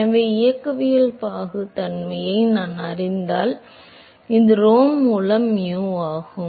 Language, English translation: Tamil, So, if I know the kinematic viscosity, which is mu by rho